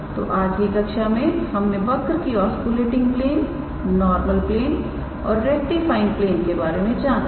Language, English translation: Hindi, So, in today’s class we were able to determine the oscillating plane normal plane and the rectifying plane of a given curve